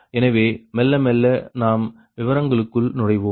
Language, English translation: Tamil, so, slowly and slowly, we will enter into the detail right now